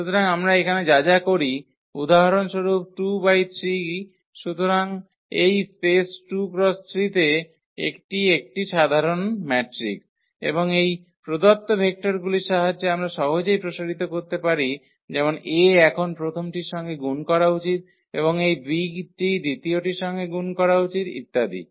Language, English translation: Bengali, So, anything we take here for example, 2 by 3 so, this is a general matrix from this space 2 by 3 and with the help of this given vectors we can easily expand in terms of like a should be multiplied to the first one now and this b is should be multiplied to the second one and so on